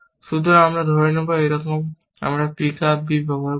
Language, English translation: Bengali, So, we will assume that somehow, we are used pick up b